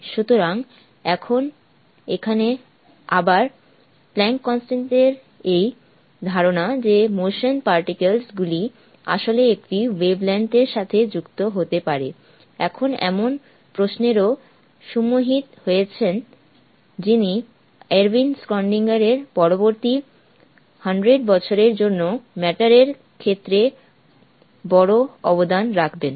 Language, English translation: Bengali, So here is a again the planck's constant and this idea that particles in motion can actually be associated with a wavelenght now brought into question by someone who would contribute to the most fundamental equation of matter for the next 100 years by Erwin Schrödinger